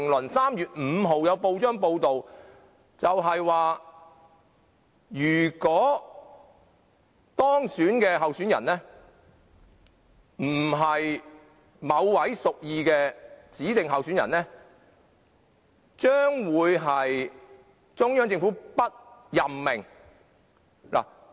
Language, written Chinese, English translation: Cantonese, 在3月5日又有報章報道，指如果當選的候選人並非中央政府所屬意的，將不獲任命。, Another press report on 5 March reported that if the candidate elected was not the one favoured by the Central Government that candidate would not be appointed